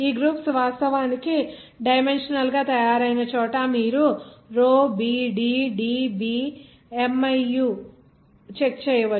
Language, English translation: Telugu, Where these groups are made actually dimensionally you just check it that row b d D b Miu